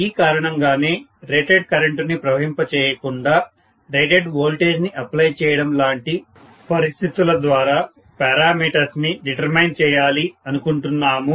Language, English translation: Telugu, That is the reason why we would like to determine the parameters, if it is possible by creating situations like applying rated voltage without really passing rated current